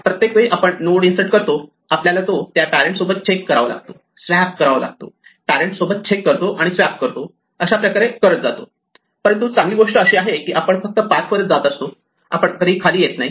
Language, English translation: Marathi, In each time we insert a node, we have to check with its parent, swap, check with its parent, swap and so on, but the good thing is we only walk up a path we never walk down a path